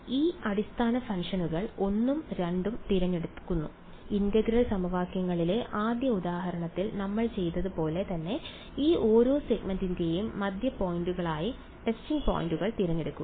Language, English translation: Malayalam, Pick these basis functions 1 and 2, pick the testing points to be the midpoints of each of these segments just like how we had done in the first example on integral equations right